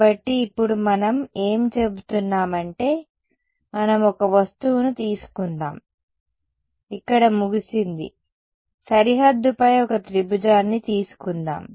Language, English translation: Telugu, So, now what we are going to do is we let us take a object is over here let us take my one triangle on the boundary ok